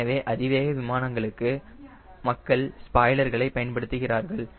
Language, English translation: Tamil, so for high speed aeroplane you see, people use spoilers